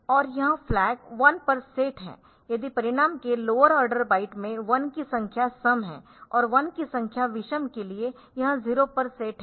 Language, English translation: Hindi, So, this flag is set to 1 if the lower byte of the result contains even number of ones and for odd number of forward number once it is set to 0